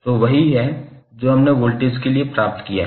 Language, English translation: Hindi, So that is what we have derived for voltage